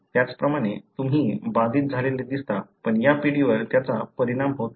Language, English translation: Marathi, Likewise you see an affected, but this generation it is not affected